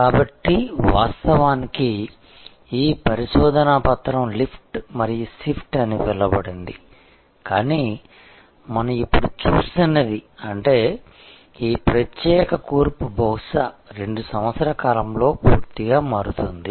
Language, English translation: Telugu, So, a lot of that was actually this research paper has called lift and shift, but what we are now seeing; that means, this particular composition will perhaps totally change in 2 years time